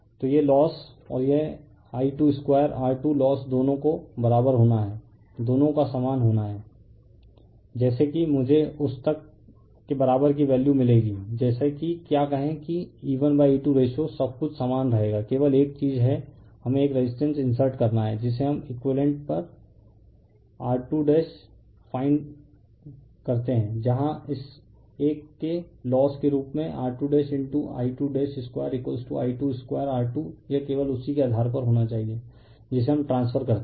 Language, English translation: Hindi, So, these loss and this I 2 square R 2 loss both has to be your equal both has to be equal such that I will get the value of equivalent up to that, such that your what you call thatyour E 1 by E 2 ratio everything will remain same only thing is that, we have to insert one resistance we have to find on equivalent is R 2 dash, right whereas the loss of this one R 2 dash into I 2 dash square is equal to I 2 square R 2 this has to be same based on that only we transfer, right